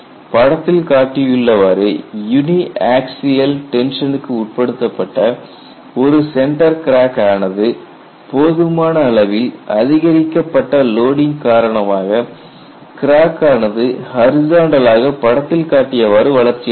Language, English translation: Tamil, I have a crack, center crack subjected to uniaxial tension here and you find when the loading is sufficiently increased, the crack grows which was like this horizontally like this